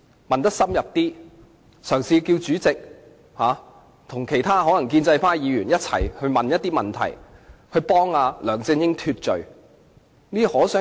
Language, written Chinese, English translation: Cantonese, 我也可以嘗試叫主席和其他建制派議員提出一些有助你脫罪的問題。, I can also try to ask the Chairman and other pro - establishment Members to raise some questions that will help exculpate you